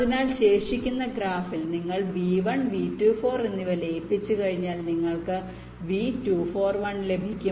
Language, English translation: Malayalam, so in the remaining graph, well, once you, you see one thing: once you merge v one and v two, four, you get v two, four, one